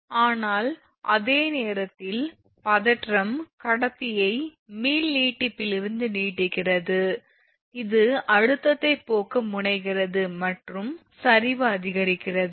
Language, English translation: Tamil, But at the same time tension elongates the conductor from elastic stretching, which tends to relieve tension and sag increases right